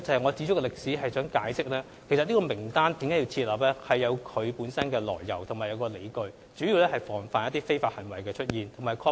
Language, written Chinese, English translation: Cantonese, 我指出歷史，是想解釋設立參考名單是有其來由及理據的，主要是防範一些非法行為的出現。, I recapped the history to explain that the set - up of the Reference List had its own origins and reasons which were mainly to provide against some illegal activities